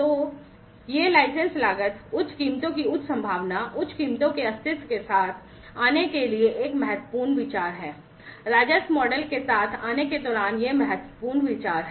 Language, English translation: Hindi, So, this is also an important consideration to come up with the license costs, higher prices possibility of higher prices, existence of higher prices; these are important considerations, while coming up with the revenue model